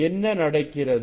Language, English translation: Tamil, then what will happen